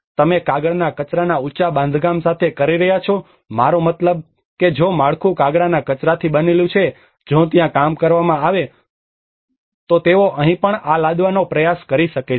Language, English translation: Gujarati, You are doing with a paper waste structure I mean if the structure is made of paper waste if it is worked out there then they might try to impose this here as well